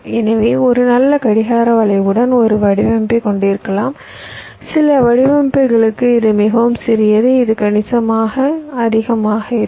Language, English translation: Tamil, so you can have a design with a very good clock skew, very small for some designs where it can be significantly higher